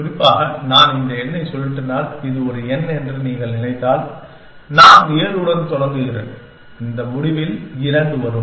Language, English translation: Tamil, In particular, if I rotate this number, if you think of this is a number, I start with 7 and 2 comes at this end